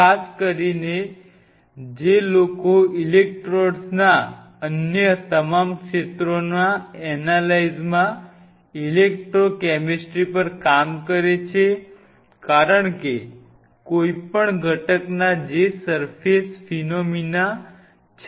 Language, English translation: Gujarati, Especially, people who does work on electrochemistry in all other fields’ analysis of electrodes because, you have to because anything any phenomena which is a surface phenomenon